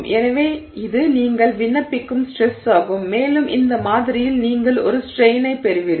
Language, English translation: Tamil, So, this is the stress that you are applying and you get a strain in this sample